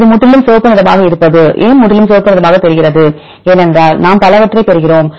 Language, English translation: Tamil, This looks completely red why it is completely red; because we get many sequences which are highly aligned